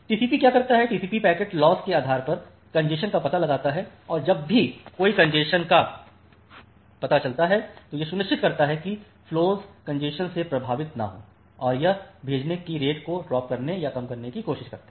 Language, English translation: Hindi, So, what TCP does that, TCP detects congestion based on packet loss and whenever there is a congestion detected then it ensures that a flow performance does not get affected by the congestion and it tries to drop or reduce the sending rate